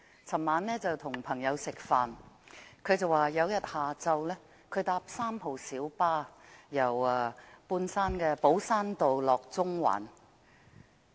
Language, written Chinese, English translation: Cantonese, 昨晚我與朋友吃飯，他說某天下午乘搭3號小巴，由半山寶珊道前往中環。, When I had dinner with my friend last night he recalled one afternoon when he was on a minibus of Route No . 3 running from Po Shan Road Mid - Levels to Central